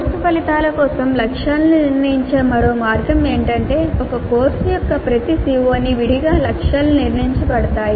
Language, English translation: Telugu, A other way of setting the targets for the course outcomes can be that the targets are set for each CO of a course separately